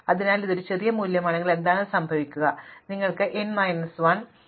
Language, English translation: Malayalam, So, if it is the smallest value then what will happen is that everything will be bigger than the pivot